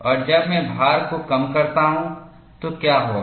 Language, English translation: Hindi, And when I reduce the load, what would happen